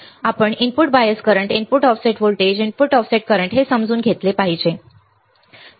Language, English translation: Marathi, So, we have to understand how we can deal with input bias current, input offset voltage, input offset current right